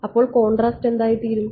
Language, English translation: Malayalam, So, then what will the contrast become